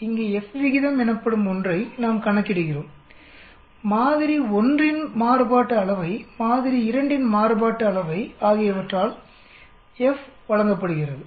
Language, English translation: Tamil, Here we calculate something called F ratio, F is given by the variance of the sample 1, variance of sample 2